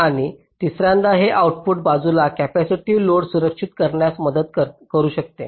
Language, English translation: Marathi, and thirdly, it can help shield capacitive load on the output side